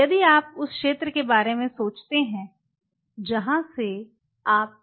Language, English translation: Hindi, If you think of this zone where you were entering